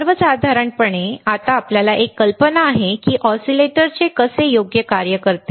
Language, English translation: Marathi, In general, now we have an idea of how oscillators would work right